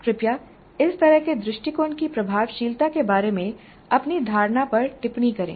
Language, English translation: Hindi, Please comment on your perception regarding the effectiveness of such an approach